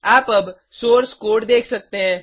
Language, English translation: Hindi, You can see the Source code now